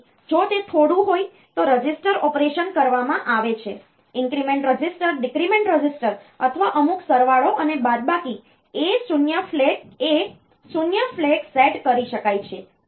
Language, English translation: Gujarati, So, if it is some a register operation is done increment register decrement register or some addition and subtraction A 0 flag may be set